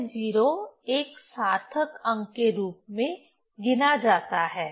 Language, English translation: Hindi, So, these 0 are counted as a significant figure